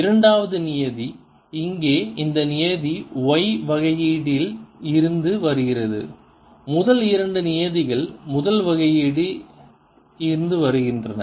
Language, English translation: Tamil, the second term, this term here comes from the differentiation of this y term and a first two terms come from the differentiation of the first